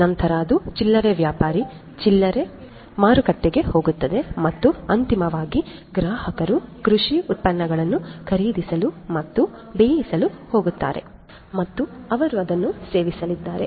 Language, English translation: Kannada, Then it goes to the retailer, the retail market and finally, the consumers are going to buy and cook the produce the agricultural produce and they are going to consume